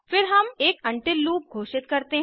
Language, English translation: Hindi, Then I declare a while loop